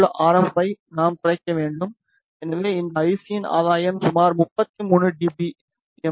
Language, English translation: Tamil, So, we should reduce the RF in power, so the gain for this IC is around 33 dBm